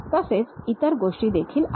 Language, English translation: Marathi, There are other things also there